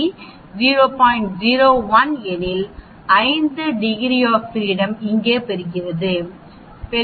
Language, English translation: Tamil, 01 for a 5 degrees of freedom you get this here 4